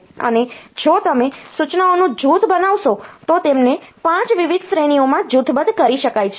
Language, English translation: Gujarati, And if you do a grouping of the instructions they can be grouped into 5 different categories